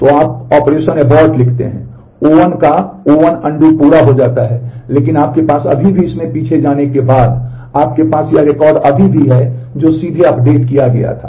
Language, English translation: Hindi, So, you write operation abort and O 1 undo of O 1 gets completed, but you still have after going backwards in this, you still have this record which was directly updated